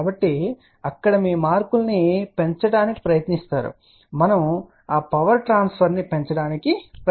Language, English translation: Telugu, So, there you try to maximize your marks here we try to maximize that power transfer